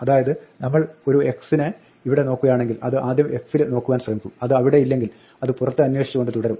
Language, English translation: Malayalam, So, if we look up an x here it will first try to look up f, if it is not there in f it will go outside and so on